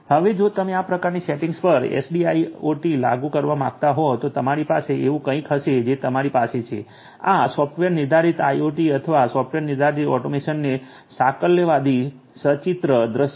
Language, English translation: Gujarati, Now if you want to implement SDIIoT on these kind of settings you are going to have something like that you have this is the holistic pictorial view of software defined IIoT or software defined automation